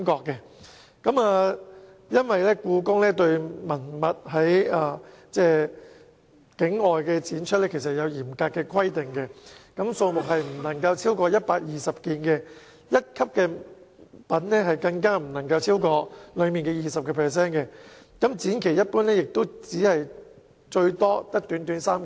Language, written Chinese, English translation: Cantonese, 故宮文物在境外展出有嚴格規定，數目不能超過120件，一級品更不能超過展品的 20%， 展期一般只有短短3個月。, There are strict regulations on exhibiting relics of the Beijing Palace Museum overseas the number of relics exhibited cannot exceed 120 pieces; the number of grade one relics cannot exceed 20 % of the total number of relics exhibited and the duration of the exhibition is generally limited to three months